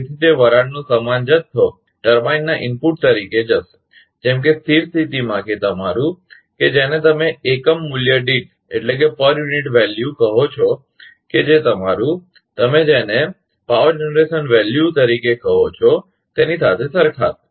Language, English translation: Gujarati, So, that equivalent amount of steam will be going as an input to the turbine, such that at steady state that your, what you call in per unit value; that it will match to that your, what you call the power generation value